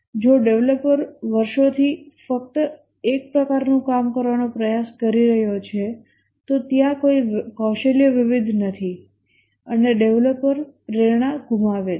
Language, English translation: Gujarati, If the developer is trying to do just one type of thing over the years there is no skill variety and the developer loses motivation